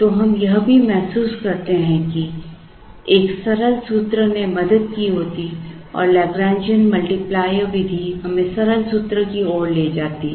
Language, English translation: Hindi, So, we also realize that a simple formula would have helped and the Lagrangian multiplier method leads us to the simple formula